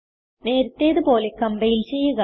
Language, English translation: Malayalam, Now compile as before